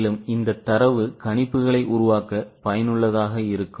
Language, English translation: Tamil, Now this data will be useful for making projections